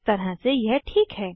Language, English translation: Hindi, In a way it is correct